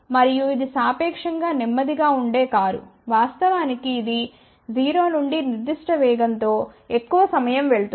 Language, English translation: Telugu, And this is relatively as slow car which actually speaking goes from 0 to certain speed at a longer time